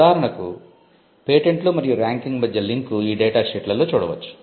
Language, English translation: Telugu, For instance, the link between patents and ranking can be found in these data sheets